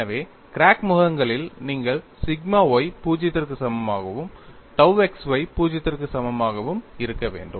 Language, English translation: Tamil, So on the crack phases, you need to have sigma y is equal to 0 and tau xy equal to 0